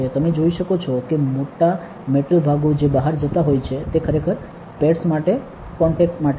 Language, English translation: Gujarati, You can see the bigger metal parts that are going out are actually for the contacts for the pads